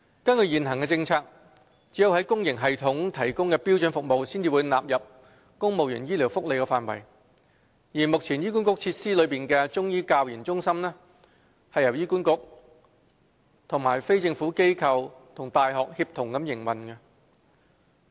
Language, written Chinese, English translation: Cantonese, 根據現行政策，只有公營系統提供的標準服務才會納入公務員醫療福利範圍，而目前在醫管局設施內的中醫教研中心是由醫管局、非政府機構及大學協同營運。, Under the existing policy only standard services provided by the public sector system are included in the scope of civil service medical benefits . The Chinese Medicine Centres for Training and Research which are among the facilities provided by HA are operated on a tripartite collaboration model involving HA a non - governmental organization and a local university